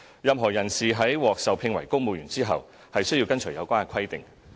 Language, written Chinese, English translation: Cantonese, 任何人士在獲受聘為公務員後，便須跟隨有關規定。, Any person who has been appointed as a civil servant is required to observe the related requirements